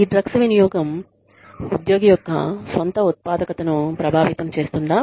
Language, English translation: Telugu, Whether it is, whether this drug use, is affecting the employee's own productivity